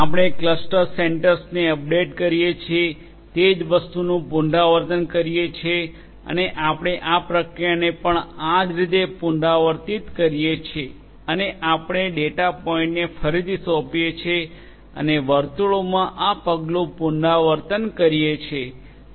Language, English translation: Gujarati, We repeat the same thing we update the clusters update the not the cluster, but the cluster centers we update the cluster centers and we repeat this process likewise and we reassign the data points and repeat this step in circles